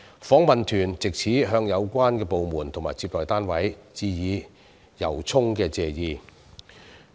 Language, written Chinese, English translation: Cantonese, 訪問團藉此向有關的部門和接待單位致以由衷的謝意。, The Delegation would hereby like to express its sincere gratitude to the relevant government departments and receiving parties